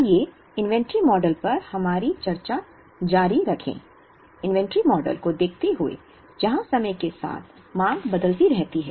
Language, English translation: Hindi, Let us continue our discussion on inventory, by looking at inventory models, where the demand varies with time